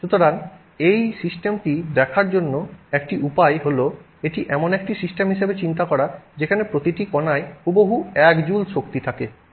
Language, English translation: Bengali, So, one way to look at this system is to think of it as a system where every particle has exactly 1 joule